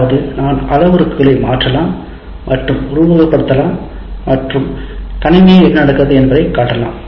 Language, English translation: Tamil, That means I can change the parameters and simulate and show what happens at the, what comes out of the system